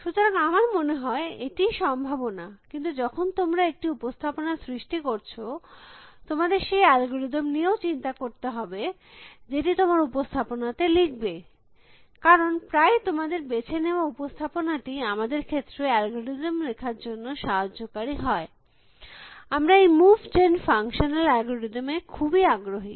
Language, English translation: Bengali, So, that is when possibility I think, but when you create a representation, you should also worry about the algorithm that you write on the representation, because very often represent the choose, the representation that you choose is helpful in sort of writing algorithm for in our case, we are interest in this move gen functional algorithms